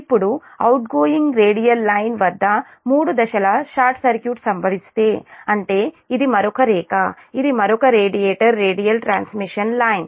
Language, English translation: Telugu, now, if a three phase short circuit occurs at the of the outgoing radial line i mean, this is another line, this is another radiator radial transmission line so the terminal voltage goes to zero